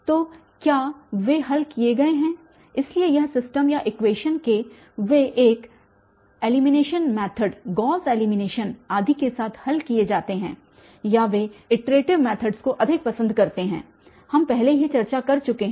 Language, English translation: Hindi, So, when, whether they are solved, so this system or the equation they are solved with an elimination method Gauss elimination et cetera or more they like iterative methods we have already discussed